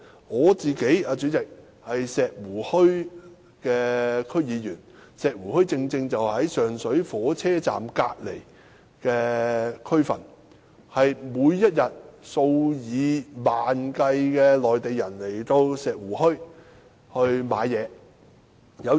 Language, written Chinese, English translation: Cantonese, 我是石湖墟的區議員，而石湖墟正是位處上水火車站旁的區份，每天均有數以萬計的內地旅客前來石湖墟購物。, I am a District Council Member of Shek Wu Hui . Shek Wu Hui is a district located near the Sheung Shui train station with tens of thousands of Mainland visitors doing shopping there every day